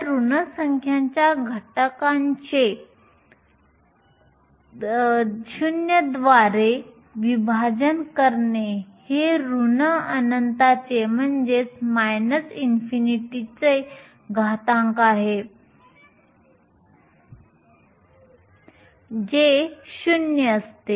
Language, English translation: Marathi, So, exponential of a negative number divided by 0 is exponential of minus infinity which is 0